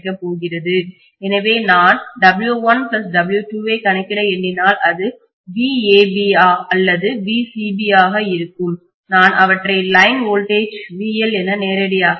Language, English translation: Tamil, So I am going to have when I calculate W1 plus W2 it will be VAB or VCB I can call them as line voltage, VL directly